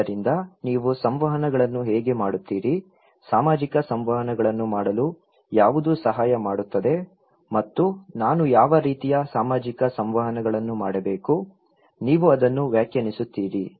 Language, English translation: Kannada, So, how do you make interactions, what helps to make social interactions and what kind of social interactions I should do; you will define that one